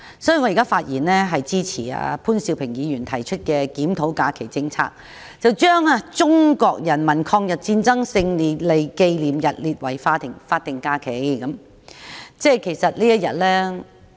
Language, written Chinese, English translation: Cantonese, 所以，我現在發言支持潘兆平議員提出的"檢討假期政策"議案，把中國人民抗日戰爭勝利紀念日列為法定假日。, Therefore I speak in support of Mr POON Siu - pings motion on Reviewing the holiday policy which seeks to designate the Victory Day of the Chinese Peoples War of Resistance against Japanese Aggression as a statutory holiday